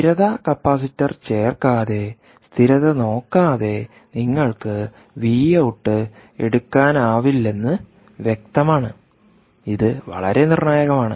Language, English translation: Malayalam, obviously, you cant take the v out without providing, without looking for the stability, without adding the stability capacitor, which is very critical